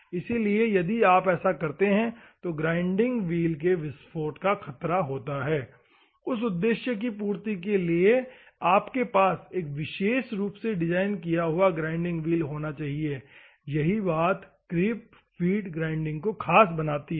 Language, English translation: Hindi, So, if at all you would give there is a danger of blast of the grinding wheel, for that purpose, you should have a specially designed and fabricated grinding wheels that are a beauty about the creep feed grinding